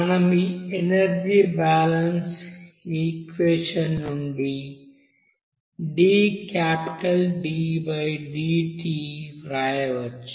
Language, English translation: Telugu, So we can write from this energy balance equation as dT/dt